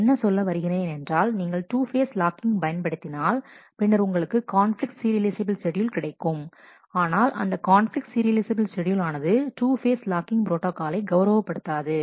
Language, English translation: Tamil, So, what this is saying if you use two phase locking you are guaranteed to have conflict serializable schedule, but there are conflicts serializable schedules for which you may not be able to honor the 2 phase locking protocol